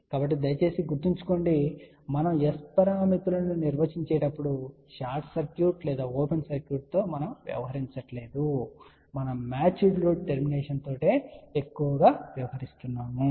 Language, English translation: Telugu, So, please remember when we define S parameter we are not dealing with short circuit or open circuit we are more dealing with the match load termination